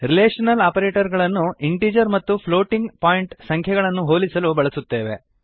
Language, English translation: Kannada, Relational operators are used to compare integer and floating point numbers